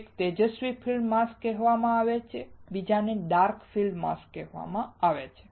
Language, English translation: Gujarati, One is called bright field mask another one is called dark field mask right